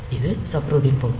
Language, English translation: Tamil, So, this is the subroutine body